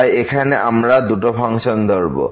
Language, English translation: Bengali, So, here we will consider two functions instead of one